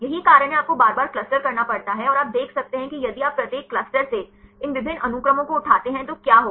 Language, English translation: Hindi, This is the reason; you have to cluster again and again and you can see what will happen if you pick up these different sequences from each cluster